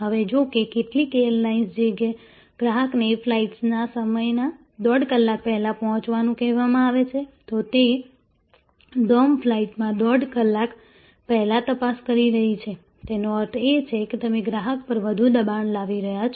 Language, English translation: Gujarati, Now, if some airlines starting existing that customer as to report 1 and a half hours before the flight time are checking before 1 and half hours before on a domestic flight; that means, you are putting some more pressure in the customer